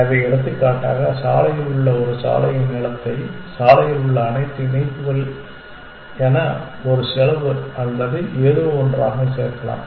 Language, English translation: Tamil, So, for example, in the road we might add the length of a road all the conjunction on the road as a cost or something that we will come to that later